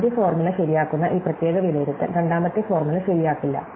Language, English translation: Malayalam, So, this particular evaluation which make the first formula true, it does not make the second formula true